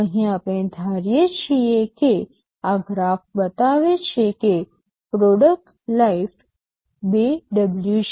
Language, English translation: Gujarati, Here what we assume is that as this graph shows that the product life is 2W